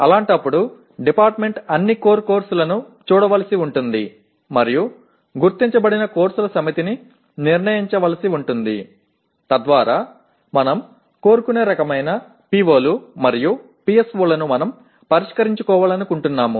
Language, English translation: Telugu, In that case, the department will have to look at all the core courses and decide a set of identified courses will have to address our the whatever we want the kind of POs and PSOs we want to address